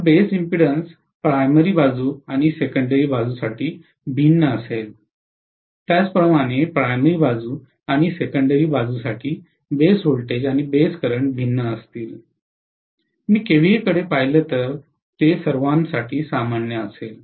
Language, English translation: Marathi, So the base impedance will be different for the primary side and secondary side, similarly base voltages and base currents will be different for the primary side and secondary side, whereas if I look at the kVA, it will be common for all of them